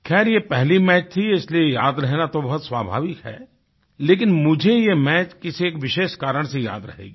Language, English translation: Hindi, Anyway, being the first match, it is naturally memorable, but I will cherish it for a special reason